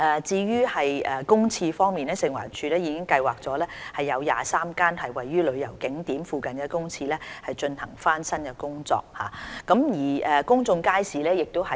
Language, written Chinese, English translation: Cantonese, 至於公廁方面，食環署已計劃為23間位於旅遊景點附近公廁進行翻新工程。, Regarding public toilets FEHD is planning to renovate 23 public toilets in the vicinity of tourist attractions